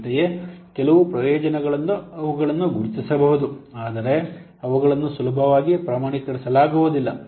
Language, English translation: Kannada, Similarly, some benefits they can be identified but not they can be easily quantified